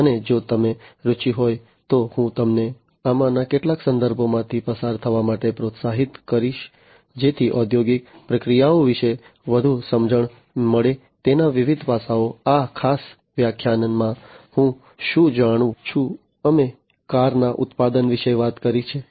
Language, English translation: Gujarati, And if you are interested, and I would encourage you in fact to go through some of these references to have further understanding about the industrial processes, the different aspects of it, what are the I know in this particular lecture, we have talked about the car manufacturing